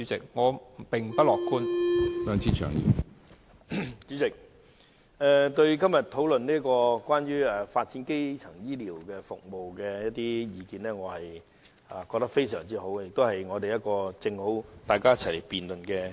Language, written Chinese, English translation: Cantonese, 主席，我覺得今天討論有關發展基層醫療服務的議案非常好，亦提供一個理想場合讓大家一起辯論。, President I think it is opportune that we discuss this motion on developing primary health care services today . The motion provides a desirable occasion for us all to discuss this subject